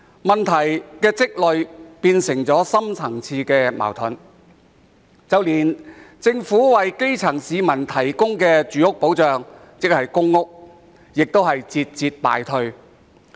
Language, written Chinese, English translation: Cantonese, 問題日積月累，最終變成深層次矛盾，連政府為基層市民提供的住屋保障，即公屋，也節節敗退。, This long - standing problem eventually grew into deep - seated conflicts . Even the Governments housing protection for the grass roots ie . public housing has been suffering one defeat after another